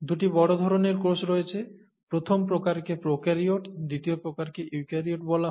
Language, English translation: Bengali, There are two major types of cells; first type is called prokaryotes, the second type is called eukaryotes